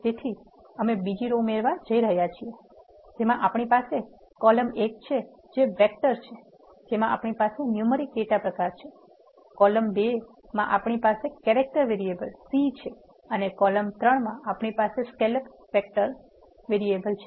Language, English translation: Gujarati, So, we are creating another row entry in which we have in the column 1 that is vec 1 we have a numeric data type 4, in the column 2 we have a character variable c, in the column 3 we have a character variable for scale up